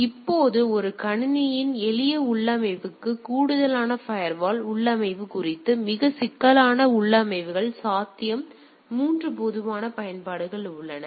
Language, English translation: Tamil, Now regarding firewall configuration in addition to use simple configuration of a single system, more complex configurations are possible 3 common there are very popular uses